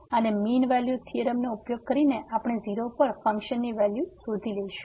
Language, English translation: Gujarati, And, using mean value theorem we want to find the value of the function at